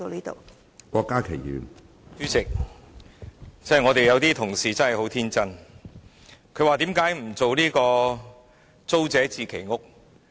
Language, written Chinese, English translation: Cantonese, 主席，有些同事真的很天真，問為何不推行租者置其屋計劃。, President some Honourable colleagues are rather naïve to ask why not implement the Tenants Purchase Scheme TPS